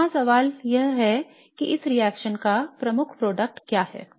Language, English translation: Hindi, So the question here is what is the major product of this reaction